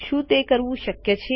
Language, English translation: Gujarati, Would it be possible to do this